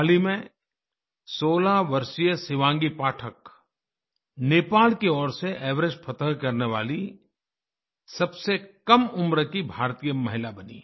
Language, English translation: Hindi, Just a while ago, 16 year old Shivangi Pathak became the youngest Indian woman to scale Everest from the Nepal side